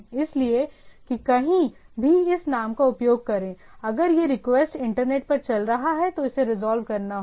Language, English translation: Hindi, So, that any anywhere we use the name, if it is if the request is going across the internet, it has need to be resolved